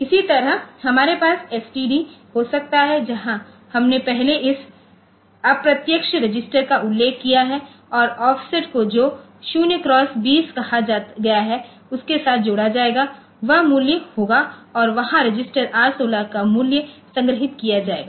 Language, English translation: Hindi, Similarly, we can have STD where we have first we mentioned this indirect register plus the offset which is say 0 x 2 0 and that value will be, so there will be storing the value of register R16